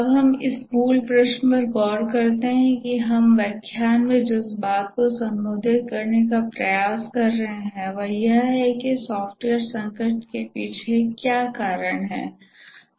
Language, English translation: Hindi, Now let's look at the basic question that we have been trying to address in this lecture is that what is the reason behind software crisis